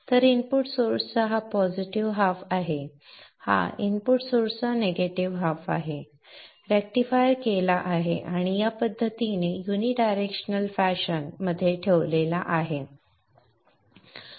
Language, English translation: Marathi, This is the negative of the input source rectified and placed in this fashion, a unidirectional fashion